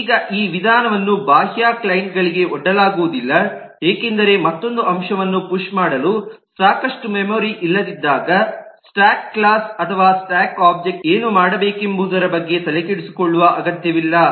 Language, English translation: Kannada, now this method will not be exposed to the external clients because they do not need to be bothered about whether what the stack class or the stack object should do when there is not enough memory to push another element